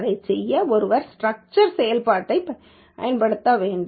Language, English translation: Tamil, One has to use this structure function to do that